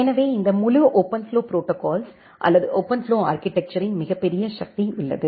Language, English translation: Tamil, So, there is a tremendous power of this entire OpenFlow protocol or OpenFlow architecture